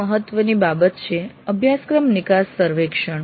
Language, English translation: Gujarati, One of the important ones is course exit survey